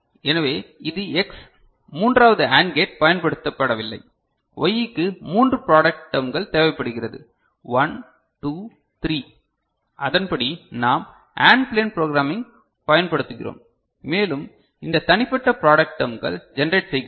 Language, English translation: Tamil, So, this is X third AND gate is not used right Y requires three product terms 1 2 3 right and accordingly, we use the AND plane programming and generate these individual product terms and Y is obtain